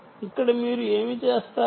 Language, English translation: Telugu, what do you do here